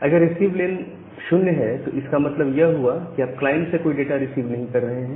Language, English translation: Hindi, Now, if receiveLen is equal to equal to 0; that means, you are not receiving any data from the client